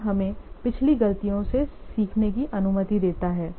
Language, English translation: Hindi, Thus, it allows us to learn from the past mistakes